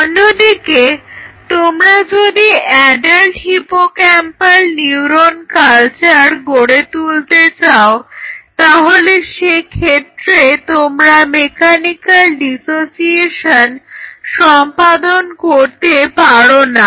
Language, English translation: Bengali, On the other hand if you want to develop an adult cell culture of adult hippocampal neuron culture you cannot do so by mechanically